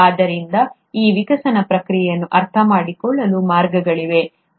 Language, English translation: Kannada, So, there are ways to understand this evolutionary process